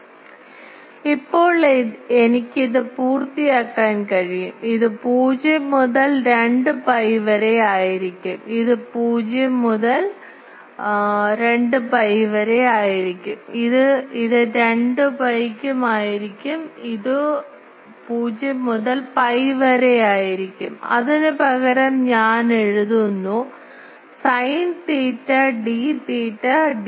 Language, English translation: Malayalam, So, now, I can complete this, this will be 0 to 2 pi, this will be 0 to pi, this will be also to 2 pi, this will be 0 to pi and instead of that I will write sin theta d theta d phi